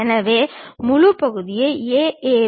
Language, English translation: Tamil, So, let us look at the first section A A